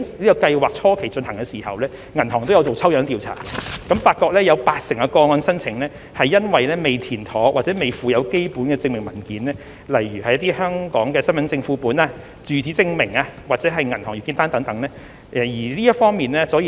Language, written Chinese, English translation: Cantonese, 在計劃進行初期，銀行也有進行抽樣調查，並發現有八成個案申請由於未填妥或未附有基本證明文件，例如香港身份證副本、住址證明或銀行月結單等，而未獲處理。, During the initial stage of implementation of PLGS the banks have conducted random checks and found that 80 % of the applications have not been processed because the forms were not properly completed or some basic documentary proof has not been provided eg . copies of Hong Kong Identity Cards address proof or monthly bank statements